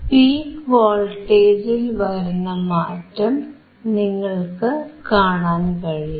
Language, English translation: Malayalam, Now you see there is a change in the peak to peak voltage it is 4